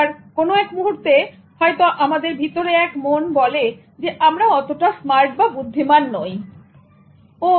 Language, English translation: Bengali, The moment something in us tells us that we are not that smart